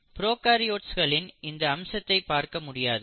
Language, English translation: Tamil, So this feature you do not see in case of prokaryotes